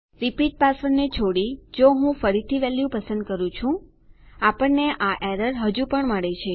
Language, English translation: Gujarati, If I again choose a value except the repeat password, we still get this error